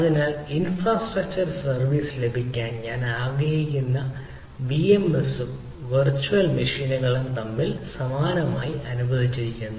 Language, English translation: Malayalam, so vm s, like i want to have infrastructure service and the virtual machines are allocated similarly